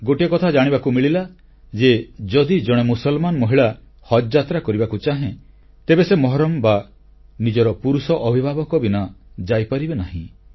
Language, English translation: Odia, It has come to our notice that if a Muslim woman wants to go on Haj Pilgrimage, she must have a 'Mehram' or a male guardian, otherwise she cannot travel